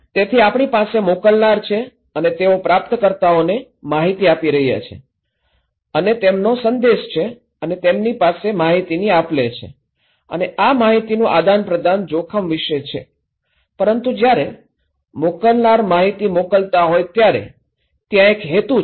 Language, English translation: Gujarati, So, we are actually we have senders and they are passing informations to the receivers and they have a message and they have exchange of informations and this exchange of information is about risk but when the senders passing the information, passing the information to the receivers, there is a motive